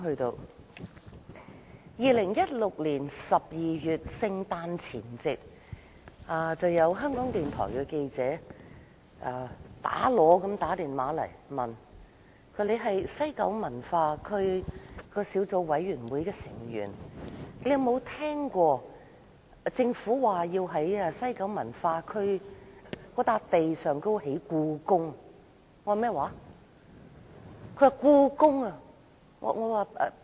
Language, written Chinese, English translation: Cantonese, 是2016年12月的聖誕前夕，香港電台記者很着急地致電給我，說："你是監察西九文化區計劃推行情況聯合小組委員會的委員，有否聽說過政府要在西九文化區的用地上興建故宮？, It should be the Christmas Eve in December 2016 . On that day a reporter from the Radio Television Hong Kong called me urgently and asked You are a member of the Joint Subcommittee to Monitor the Implementation of the West Kowloon Cultural District Project . Have you ever heard of the Governments plan to build a Palace Museum on the site of the West Kowloon Cultural District WKCD?